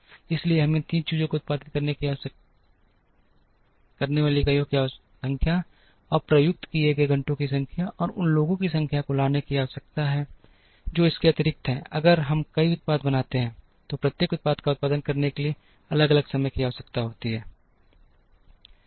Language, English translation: Hindi, So, we need to bring these three things the number of units produced, the number of hours that are unutilized, and number of people that are there plus in addition, we if we make multiple products then each product would require different times to produce